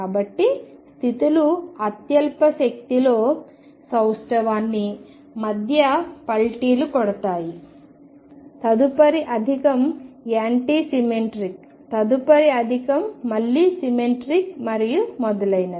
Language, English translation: Telugu, So, the states flip between symmetric in the lowest energy, next higher is anti symmetric, next higher is again symmetric and so on